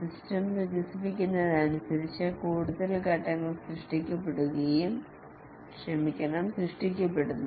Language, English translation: Malayalam, As the system develops, more and more phases are created